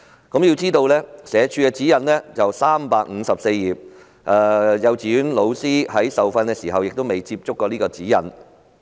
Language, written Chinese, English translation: Cantonese, 須知道，社署的指引厚達354頁，幼稚園教師在受訓時也未有接觸過這本指引。, We should bear in mind that the guidelines published by SWD cover 354 pages and kindergarten teachers have never been given a chance to peruse the guidelines not even when they were under training